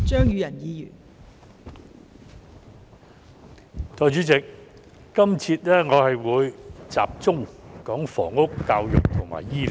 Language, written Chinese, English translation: Cantonese, 代理主席，我在今節將會集中討論房屋、教育和醫療。, Deputy President in this session I will focus on housing education and healthcare